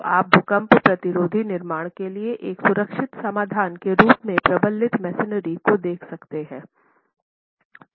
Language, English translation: Hindi, So, you can look at reinforced masonry as a viable, safe solution for earthquake resistant constructions